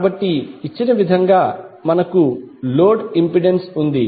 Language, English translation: Telugu, So, we have load impedance as given